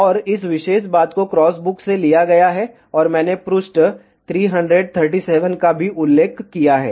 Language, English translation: Hindi, And this particular thing has been taken from the cross book, and I have also mentioned page 337